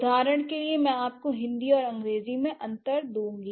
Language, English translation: Hindi, For example, I'll give you a difference between Hindi and English